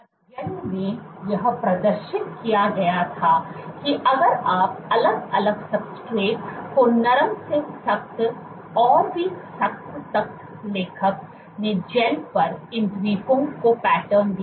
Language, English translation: Hindi, What the study demonstrated was if you took different substrates from soft to stiff all the way to stiff and you on these gels what the authors did was, they pattern these Islands